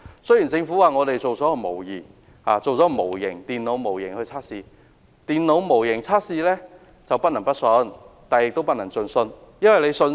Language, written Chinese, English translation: Cantonese, 雖然政府表示，已製作了電腦模型進行測試，但電腦模型測試不能不信，亦不能盡信。, Although the Government indicated that tests had been conducted with computer modelling computer modelling can neither be distrusted nor trusted totally